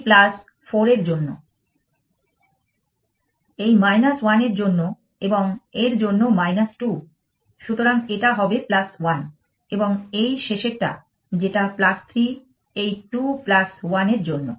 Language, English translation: Bengali, So, his will be plus 1 and this last one which is plus 3 for these 2 plus 1 for this 4 minus 2 for this